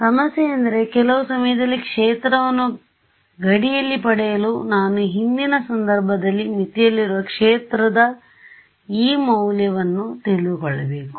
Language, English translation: Kannada, The problem is that in order to get the field on the boundary at some time instance I need to know the value of the field on the boundary at a previous instance